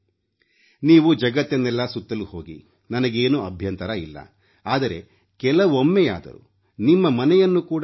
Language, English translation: Kannada, You travel around the world, I have no issues but have a look at your own country too